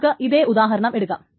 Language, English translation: Malayalam, That is the first example